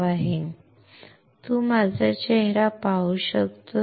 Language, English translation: Marathi, Now, can you see my face